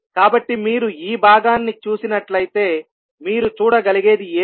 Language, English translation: Telugu, So, if you see this particular component what you can see